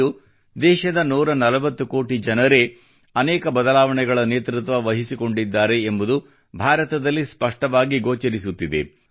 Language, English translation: Kannada, Today, it is clearly visible in India that many transformations are being led by the 140 crore people of the country